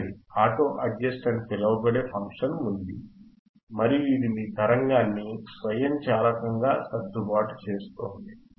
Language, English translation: Telugu, See there is a function called auto adjust and it will automatically adjust your waveform right